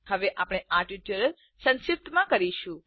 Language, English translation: Gujarati, We will summarize the tutorial now